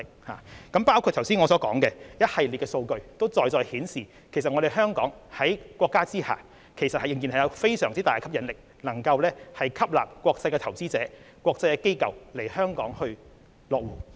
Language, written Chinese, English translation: Cantonese, 我剛才提到一系列的數據，在在顯示香港在國家的支持下仍然有相當大的吸引力，可以吸納國際投資者和國際機構來港落戶。, The figures cited by me just now show that Hong Kong with the support of our country can still attract international investors and organizations to establish their bases in Hong Kong